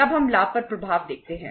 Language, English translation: Hindi, Then we see the impact on the profitability